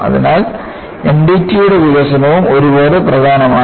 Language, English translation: Malayalam, So, N D T development is also equally important